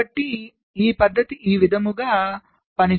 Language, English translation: Telugu, ok, so this method works like this